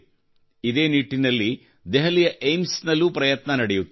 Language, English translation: Kannada, With this thought, an effort is also being made in Delhi's AIIMS